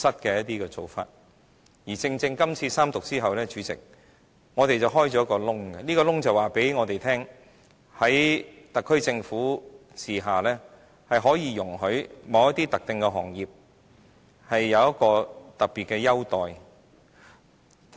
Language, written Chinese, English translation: Cantonese, 主席，《條例草案》三讀後，正正打開一個缺口，而這個缺口告訴大家，在特區政府治下，是容許某些特定行業享有特別優待。, President the Third Reading of the Bill will exactly leave a gap in our regime letting everyone knows that the SAR Government does allow certain specific sectors to enjoy special favours